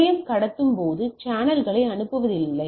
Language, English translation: Tamil, So, station does not sends channel while transmitting